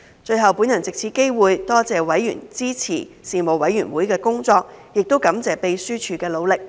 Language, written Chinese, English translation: Cantonese, 最後，我藉此機會多謝委員支持事務委員會的工作，亦感謝秘書處的努力。, Finally I take this opportunity to thank members for supporting the work of the Panel and appreciate the efforts made by the Secretariat